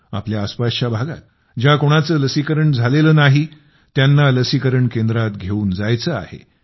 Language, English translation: Marathi, Those around you who have not got vaccinated also have to be taken to the vaccine center